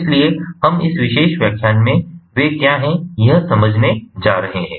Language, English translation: Hindi, so we are going to understand what these are in this particular lecture